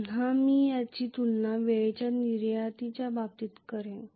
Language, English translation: Marathi, Again I will compare this in terms of time constant